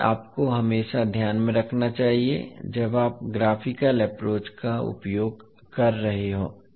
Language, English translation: Hindi, So this you have to always keep in mind when you are using the graphical approach